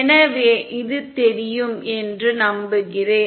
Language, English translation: Tamil, So then I hope this is visible